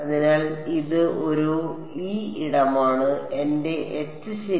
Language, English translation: Malayalam, So, this is my E this is my H ok